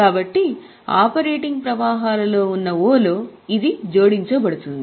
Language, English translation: Telugu, So, in O, that is in the operating flows it is going to be added